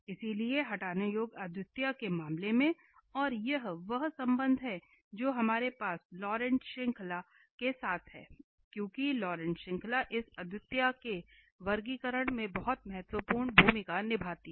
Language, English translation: Hindi, So, in case of removable singularity and this is the relation which we have with the Laurent series because the Laurent series plays very important role in this classification of this singularities